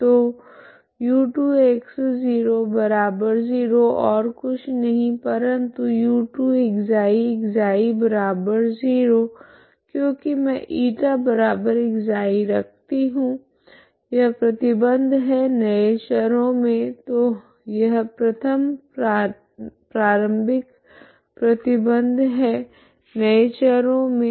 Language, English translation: Hindi, So u2( x ,0)=0 is nothing but u2(ξ , ξ )=0, okay because I put η=ξ so this is what is the condition in the new variables so that is what is this first initial condition in new variable